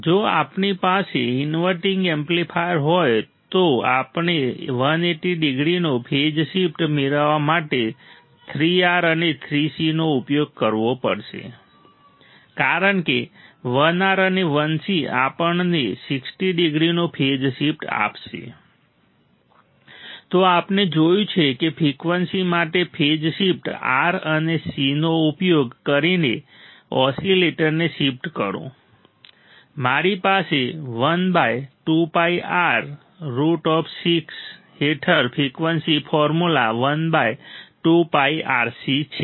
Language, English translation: Gujarati, If we have an inverting amplifier we have to use 3 R and 3 C to obtain a phase shift of 180 degree because 1 R and 1 C will give us 60 degree phase shift, then we have seen that for the frequency the frequency for the phase shift oscillator using R and C, we have frequency formula 1 by 2 pi RC into under of 1 by 2 pi R under root of 6, then we have also seen that to sustain the oscillations our a into beta should be equal to greater than or equal to 1